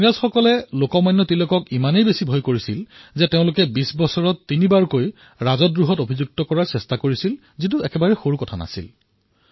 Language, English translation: Assamese, The British were so afraid of Lok Manya Tilak that they tried to charge him of sedition thrice in two decades; this is no small thing